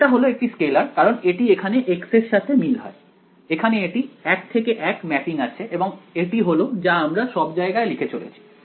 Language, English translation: Bengali, It is a scalar because it matches with the x over here right, there is a one to one mapping and that is the r that I maintained everywhere right